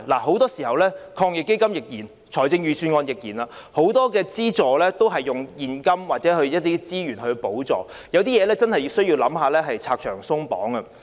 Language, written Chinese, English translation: Cantonese, 很多時候，防疫抗疫基金及預算案的資助都是以現金或資源作補助，但有些情況真的要考慮如何拆牆鬆綁。, Very often assistance under AEF and the Budget are provided in cash or in kind . Nevertheless in some cases it is really important to work out how to cut red tape